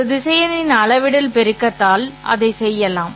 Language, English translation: Tamil, That can be done by scalar multiplication of a vector